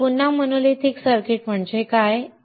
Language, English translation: Marathi, What is a monolithic integrated circuit